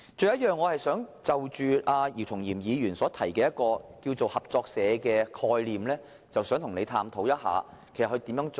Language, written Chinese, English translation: Cantonese, 此外，就着姚松炎議員提出的合作社概念，我想與他探討應如何實行。, Separately I would like to explore with Dr YIU Chung - yim how to implement his suggested concept of cooperative societies